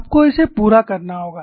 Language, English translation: Hindi, You have to work it out